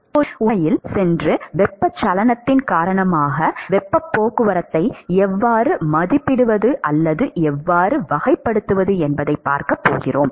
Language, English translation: Tamil, Now we are going to actually go and see how to estimate or how to characterize heat transport because of convection